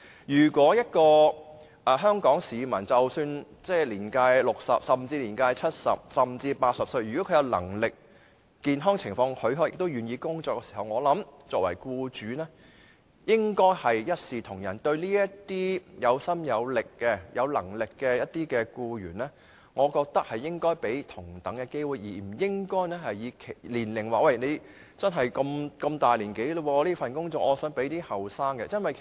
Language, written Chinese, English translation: Cantonese, 一名香港市民即使年屆60歲，甚至年屆70歲或80歲，只要他有能力，健康情況許可並願意工作，我想作為僱主的，也應該一視同仁，向這些有心有能力的僱員提供同等機會，而不應因年齡問題，即他們年紀大，而把工作職位留給較年青的人。, For any Hong Kong citizen who has reached the age of 60 or even 70 and 80 if he is capable of working if his health allows him to work and if he is willing to work he should be offered equal treatment by employers . Employers should offer equal opportunities to these capable and enthusiastic employees and should not show preference based on age . In other words employers should not reserve the posts for younger people because other employees are old